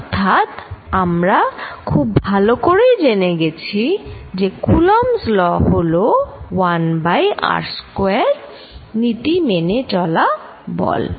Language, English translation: Bengali, So, we know very well that this coulomb's law is really 1 over r square